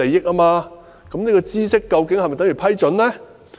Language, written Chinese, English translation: Cantonese, 那麼，知悉究竟是否等於批准呢？, This being the case does knowledge amount to permission then?